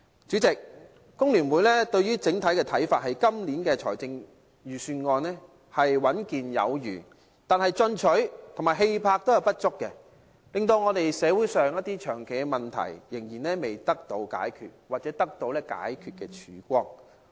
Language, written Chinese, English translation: Cantonese, 主席，香港工會聯合會對於今年預算案的整體看法是穩健有餘，但進取和氣魄不足，令香港社會上長期的問題仍然未能得到解決或得到解決的曙光。, President generally speaking the Hong Kong Federation of Trade Unions FTU thinks that the Budget this year is sound and stable enough it is in lack of aggressiveness and vigour and as a result the long - standing problems in the Hong Kong society are still unresolved or do not have the hopeful twilight of going to be resolved